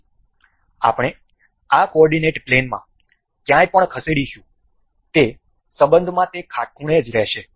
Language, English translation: Gujarati, So, anywhere we move in this coordinate plane they will remain perpendicular in relation